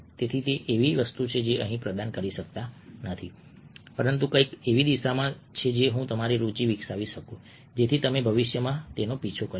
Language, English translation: Gujarati, so that is something which i cannot provide here, but that is something in the direction of which i can develop your interest so that you can pursue it in the future